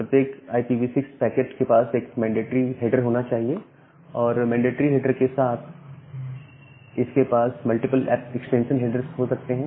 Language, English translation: Hindi, Every IPv6 packet should have one mandatory header and along with one mandatory header, it can have multiple extension headers